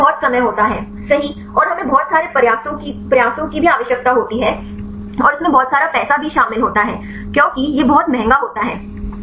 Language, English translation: Hindi, But it involves lot of time right and also lot of efforts we need and it also involves lot of money right because it is very expensive